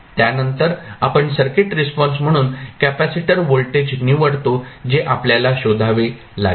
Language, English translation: Marathi, We have to select the capacitor voltage as a circuit response which we have to determine